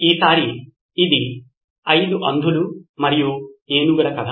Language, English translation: Telugu, This time it’s a story of 5 blind men and the elephant